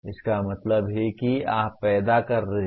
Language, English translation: Hindi, That means you are creating